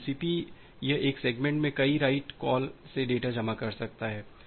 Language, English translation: Hindi, So, TCP it can accumulate data from several write calls into one segment